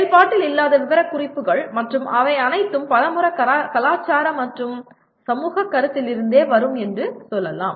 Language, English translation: Tamil, The whole bunch of non functional specifications and they will all come from let us say the many times they come from cultural and societal considerations